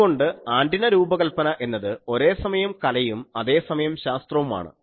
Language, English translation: Malayalam, So, antenna design is something like arts as well as science